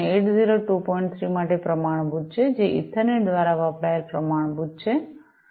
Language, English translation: Gujarati, 3, which is the standard used by Ethernet